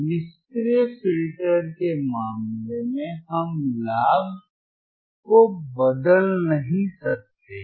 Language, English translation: Hindi, Iin case of passive filters, we cannot change the gain we cannot change the gain